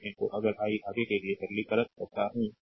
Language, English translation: Hindi, So, if I if I further simplify for you, right